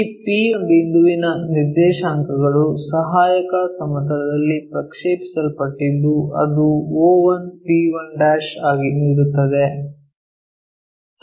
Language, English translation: Kannada, So, the coordinates of this P point which is projected onto auxiliary planar giving us o1 p1'